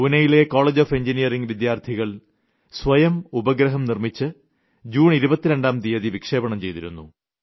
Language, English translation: Malayalam, Over there I met those students of the Pune College of Engineering, who on their own have made a satellite, which was launched on 22nd June